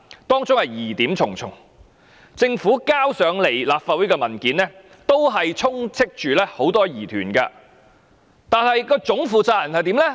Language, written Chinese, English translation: Cantonese, 當中疑點重重，政府提交到立法會的文件充斥着很多疑團，但總負責人怎樣呢？, Both incidents were highly suspicious . The Government papers submitted to the Legislative Council were littered with doubts . But what happened to the ultimate person in charge?